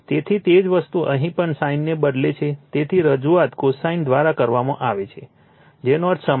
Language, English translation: Gujarati, So, same thing is here also instead of sin, we are represent it by cosine, meaning is same right